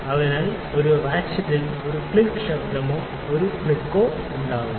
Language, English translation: Malayalam, So, at the ratchet makes one click noise or one click sound yes